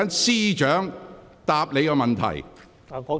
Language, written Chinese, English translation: Cantonese, 司長，你有否補充？, Chief Secretary do you have anything to add?